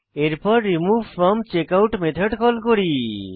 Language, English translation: Bengali, We then call removeFromCheckout method